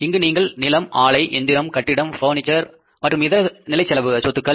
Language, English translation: Tamil, You need to put here land, plant, machinery, buildings, furniture and the other fixed assets